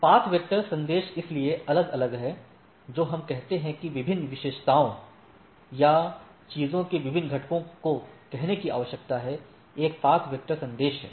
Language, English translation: Hindi, The path vector messages so, there are different what we say what need to say the different characteristics or different components of the things, one is path vector messages